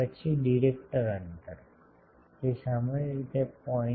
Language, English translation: Gujarati, Then director spacing; that is typically 0